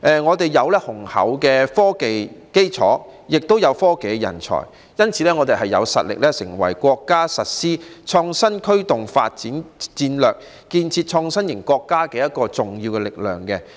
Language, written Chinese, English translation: Cantonese, 香港有雄厚的科技基礎，也有科技人才，所以有實力成為國家實施創新驅動發展戰略，加快建設創新型國家的重要力量。, Given Hong Kongs strong scientific and technological foundation and availability of talents we have the strength to be an important force for implementing the countrys development strategy driven by innovation and accelerating its development into an innovative country